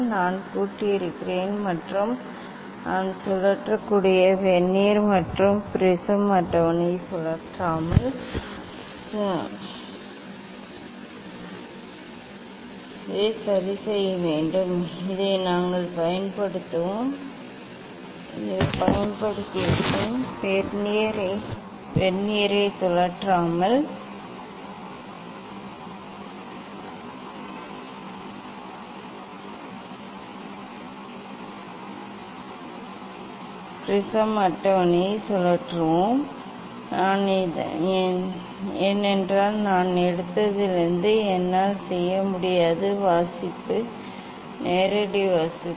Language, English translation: Tamil, that I have locked and without rotating the Vernier only prism table I can rotate, I can rotate you can see this is fixed we will use this one We will rotate the prism table without rotating the Vernier because that I cannot do since I have taken the reading, direct reading